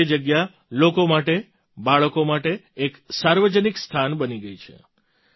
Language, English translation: Gujarati, Today that place has become a community spot for people, for children